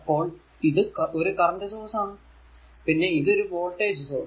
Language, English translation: Malayalam, So, it will be power absorbed by the voltage source